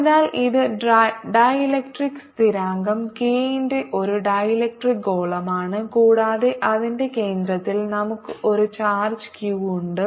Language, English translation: Malayalam, so this is a dielectric sphere of dielectric constant k and we have a charge q at the centre of it